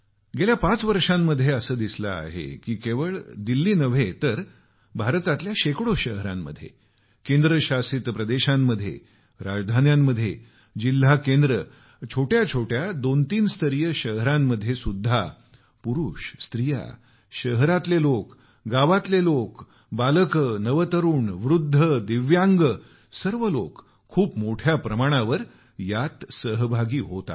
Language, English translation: Marathi, The last five years have witnessed not only in Delhi but in hundreds of cities of India, union territories, state capitals, district centres, even in small cities belonging to tier two or tier three categories, innumerable men, women, be they the city folk, village folk, children, the youth, the elderly, divyang, all are participating in'Run for Unity'in large numbers